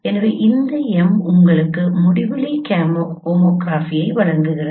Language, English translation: Tamil, So, and this M provides you also the homography at infinity